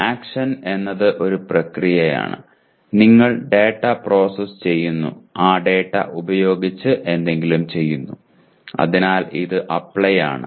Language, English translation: Malayalam, Action is a process which belongs to, you are processing the data, doing something with that data; so it is Apply